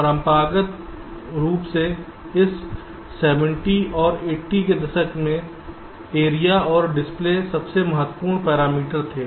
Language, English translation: Hindi, traditionally in this seventies and eighties, area and delay were the most important parameters